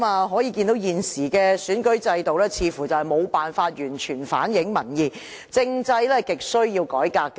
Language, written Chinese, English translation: Cantonese, 可見現時的選舉制度似乎無法完全反映民意，政制亟需要改革。, It appears that the existing election system is incapable of fully reflecting public opinions . There is an urgent need to reform the political system